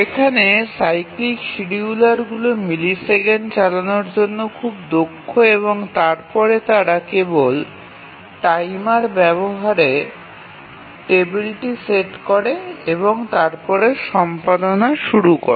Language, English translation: Bengali, So, here the cyclic schedulers are very efficient run in just a millisecond or so and then they just set the timer, access the table and then they start the education